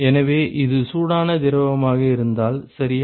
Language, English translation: Tamil, So, if this is the hot fluid ok